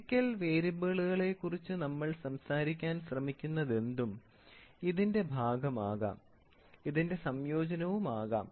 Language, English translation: Malayalam, So, whatever we are trying to talk about the physical variables can be a part of it, can be a combination of it, you can have